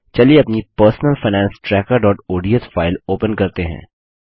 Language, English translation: Hindi, Let us open our personal finance tracker.ods file